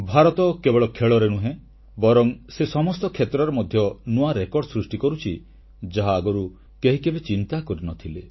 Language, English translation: Odia, India is setting new records not just in the field of sports but also in hitherto uncharted areas